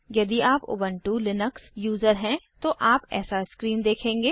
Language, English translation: Hindi, If you are an Ubuntu Linux user, you will see this screen